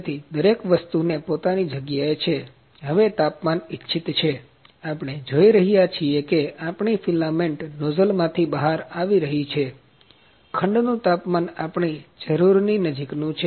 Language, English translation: Gujarati, So, everything is in it is place now the temperatures are like, we are see our filament was coming out of the nozzle, the cell temperature is close to what we require